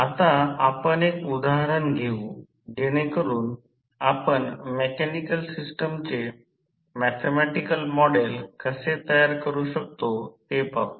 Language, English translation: Marathi, Now, let us take one example so that we can understand how we will create the mathematical model of mechanical system